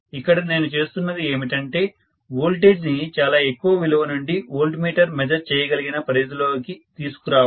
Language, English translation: Telugu, What I am doing is to bring down the voltage from a very very large value to a range where my voltmeter will work